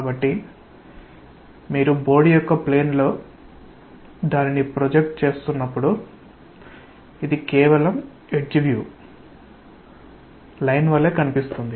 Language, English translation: Telugu, And when you are seeing its projection in the plane of the board, it looks like just the edge view that is the line